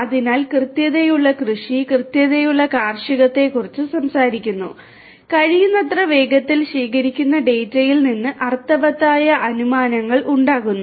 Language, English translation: Malayalam, So, precision agriculture talk talks about precision agriculture talks about making meaningful inferences out of the data that are collected as quickly as possible